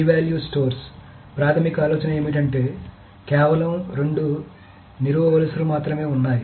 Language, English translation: Telugu, So the key value stores, the basic idea is that there are only two columns